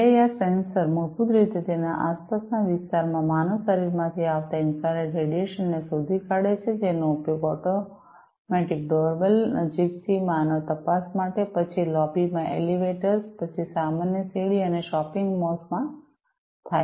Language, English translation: Gujarati, PIR sensor basically detect the infrared radiation coming from the human body in its surrounding area it is used for automatic doorbell, close closer, human detection, then the elevators in the lobbies, then common staircase, and shopping malls